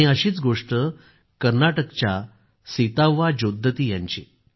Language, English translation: Marathi, A similar story is that of Sitavaa Jodatti from Karnataka